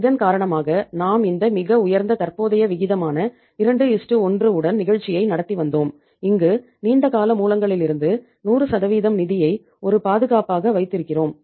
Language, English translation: Tamil, And because of this we were running the show with this very high current ratio of 2:1 where we are keeping 100% of the funds from the long term sources as a safeguard